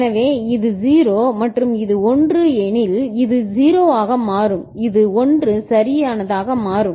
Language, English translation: Tamil, So, if it is 0 and this is 1, so this will become 0 and this will become 1 right